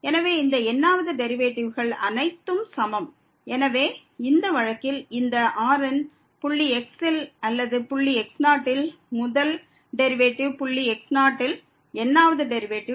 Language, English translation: Tamil, So, all these th order derivative are equal, so in this case therefore this at point or the first derivative at point naught the th derivative at point naught all are equal to 0